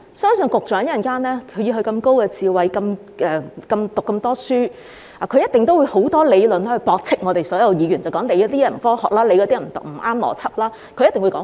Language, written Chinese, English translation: Cantonese, 相信以局長這麼高智慧，讀過這麼多書，他稍後一定會有很多理論，駁斥我們所有議員，例如某建議不科學、不合邏輯等。, I believe that since the Secretary is an intelligent and well - educated person he will certainly raise quite a number of arguments in a moment to refute all Members saying for example a certain proposal is unscientific or illogical